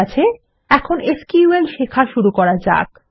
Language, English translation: Bengali, Okay, now let us learn about SQL